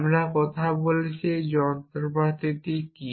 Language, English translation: Bengali, So, what is this machinery